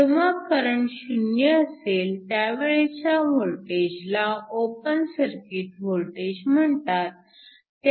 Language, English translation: Marathi, So, when current I is equal to 0, the voltage is called your open circuit voltage